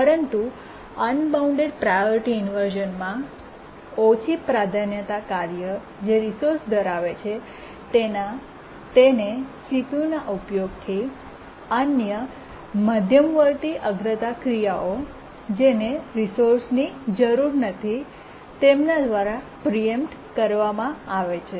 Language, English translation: Gujarati, But then what really is a difficult problem is unbounded priority inversion, where the low priority task which is holding the resource is preempted from CPU uses by other intermediate priority tasks which don't need the resource